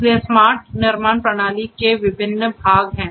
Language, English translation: Hindi, So, there are different parts of the smart manufacturing system